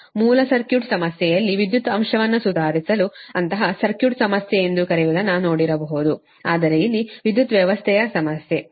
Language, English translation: Kannada, you have whatever you have done in your basic circuit problem also to improve the power factor, you might have taken many your what you call such kind of circuit problem, but here it is power system problem, right